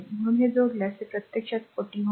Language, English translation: Marathi, So, if you add this it will be actually 40 ohm right